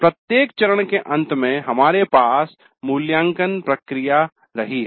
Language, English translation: Hindi, So, at the end of every phase we do have an evaluate process taking place